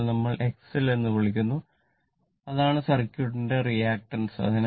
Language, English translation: Malayalam, Sometimes, we call X L that is the reactance of the your what you call of the circuit only reactant